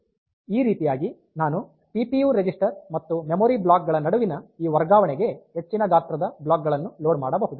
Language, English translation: Kannada, So, this way I can load store higher sized blocks on to this transfer between CPU register and the memory blocks